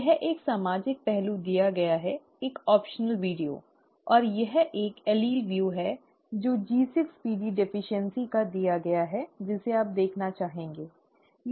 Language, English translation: Hindi, This is a social aspect that is given, an optional video, and this is an allele view that is given of G6PD deficiency, which you may want to look at, okay